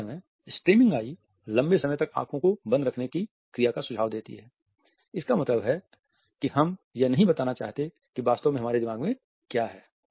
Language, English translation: Hindi, At the same time stammering eyes suggest an action of keeping the eyes closed for prolonged periods of time; that means, that we do not want to speak out what exactly is in our mind